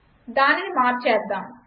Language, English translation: Telugu, Lets change it